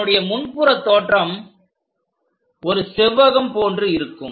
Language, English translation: Tamil, This is the front view like a rectangle we will see